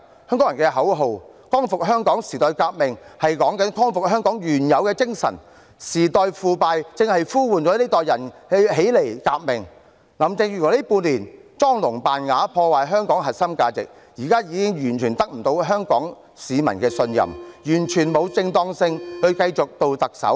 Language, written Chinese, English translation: Cantonese, 香港人的口號"光復香港、時代革命"是指光復香港原有的精神，時代腐敗正在呼喚這一代人起來革命，林鄭月娥近半年來裝聾作啞，破壞香港核心價值，現在已完全得不到香港市民的信任，完全沒有正當性繼續擔任特首。, Hongkongers slogan Liberate Hong Kong the revolution of our times means restoring the original Hong Kong spirit . The rotten times called upon this generation to revolt . Carrie LAM has been playing deaf and mute in the past six months and destroyed the core values of Hong Kong